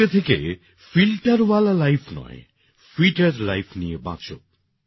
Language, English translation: Bengali, After today, don't live a filter life, live a fitter life